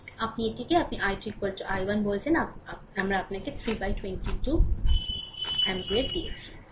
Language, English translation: Bengali, So, this is your what you call i 2 is equal to i 1, we have got your 1 by 22 ampere